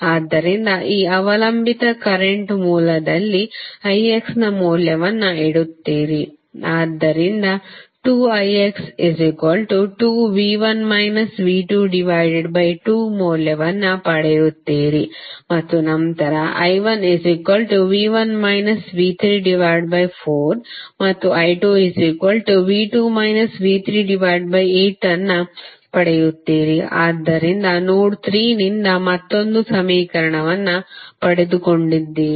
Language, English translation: Kannada, So, you will just place the value of i X in this dependent current source, so you will get the value of 2 i X is nothing but 2 into V 1 minus V 2 by 2 and then simply i 1 is nothing but V 1 minus V 3 by 4 and i 2 is V 2 minus V 3 by 8, right so you got another equation from node 3